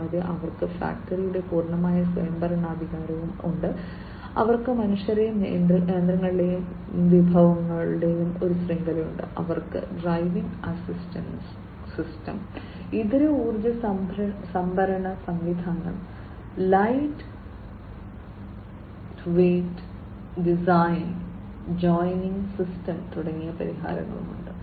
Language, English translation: Malayalam, And they also have the full autonomy of factory, they have a network of humans, machines and resources, they have solutions like driver assistance system, alternative energy storage system, lightweight design, and joining system